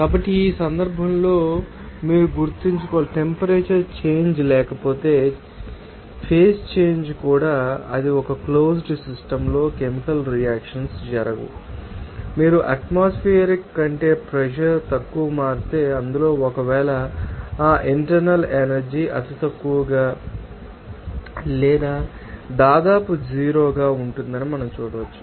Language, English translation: Telugu, So, in this case you have to remember that, if there is no temperature change, even phase change also it is not there are no chemical reactions occur in a closed system and if pressure change our less than if you atmosphere in that case we can see that that internal energy will be negligible or almost zero